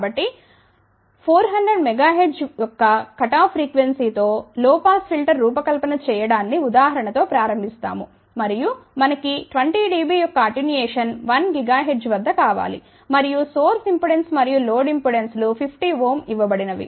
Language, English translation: Telugu, So, will a start with than example that we need to design of low pass filter with the cutoff frequency of 400 megahertz and we want attenuation of 20 dB at 1 gigahertz and it is given that the source and load impedances are 50 ohm